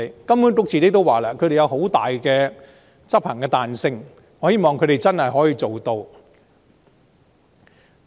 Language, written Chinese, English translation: Cantonese, 金管局說執行時會有很大的彈性，我希望它真的做到。, HKMA said that there would be great flexibility in implementation . I hope it will actually be achieved